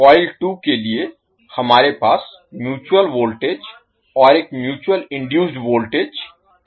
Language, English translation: Hindi, So for coil two, we will have the mutual voltage and a mutual induced voltage M 12 di 2 by dt